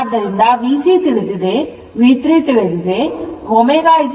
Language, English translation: Kannada, So, this is V 3 this is V 3 right